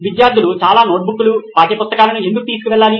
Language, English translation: Telugu, Why do students need to carry so many notebooks and textbooks